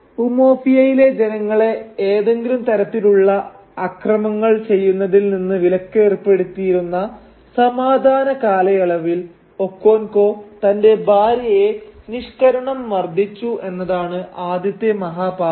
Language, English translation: Malayalam, The first serious transgression that Okonkwo commits is that he mercilessly beats up his youngest wife during the period of peace in which the people of Umuofia, are ritually prohibited from committing any violence